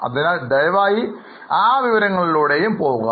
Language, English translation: Malayalam, So, please go through that information also